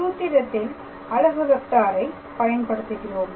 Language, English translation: Tamil, So, then in that case what will be our unit vector